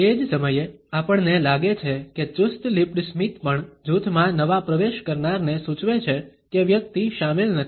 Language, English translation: Gujarati, At the same time we find that the tight lipped smile also becomes a message to a new entrant in the group to suggest that the person is not included